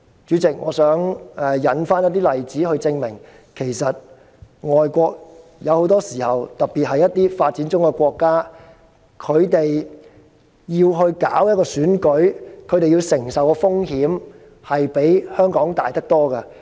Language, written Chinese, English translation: Cantonese, 主席，我想引述一些例子，證明其實很多時候外國——特別是發展中國家——舉辦一場選舉，要承受的風險比香港大得多。, President I would like to cite some examples to prove that foreign countries―particularly developing countries―very often have to bear greater risks than Hong Kong in holding an election . Take the presidential election in Afghanistan held in September as an example